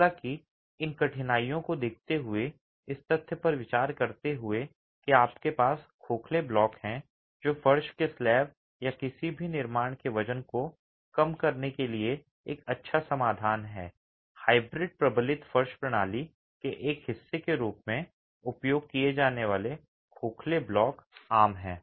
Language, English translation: Hindi, However, considering these difficulties and considering the fact that you have hollow blocks which are a good solution for reducing the weight of floor slabs or weight of any construction, hollow blocks used as a part of a hybrid reinforced floor system is common